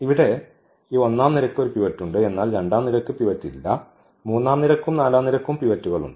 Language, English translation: Malayalam, So, this pivot here there is a there is a pivot, but this column does not have a pivot here also it does not have a pivot